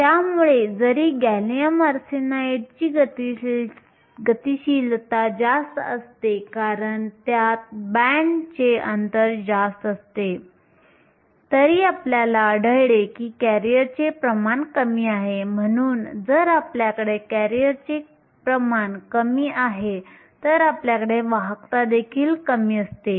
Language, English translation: Marathi, So, even though gallium arsenide has a higher mobility because it has a higher band gap, we find that the concentration of careers is lower because you have a lower concentration of careers, you will also have a lower conductivity